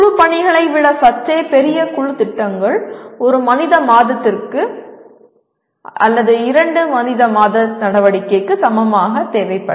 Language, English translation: Tamil, Group projects which is slightly bigger than group assignments which will require maybe equivalent of one man month or two man month activity